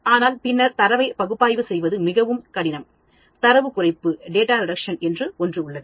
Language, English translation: Tamil, But then it becomes very difficult to analyze the data and there is something called Data Reduction